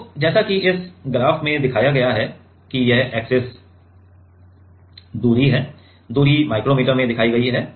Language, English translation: Hindi, So, as it is shown in this graph so, as it is shown in this graph that this axis is the distance; is the distance shown in micrometer